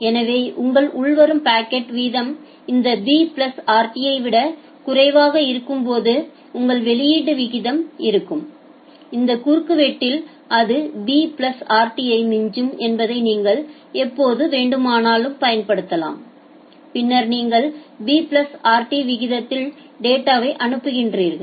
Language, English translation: Tamil, So, your output rate will be when your incoming packet rate is less than this b plus rt, you can use that whenever it becomes at this cross section it overshoots b plus rt then you send the data at a rate of b plus rt